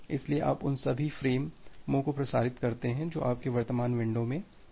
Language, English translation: Hindi, So, you transmit all the frames which are there in your current window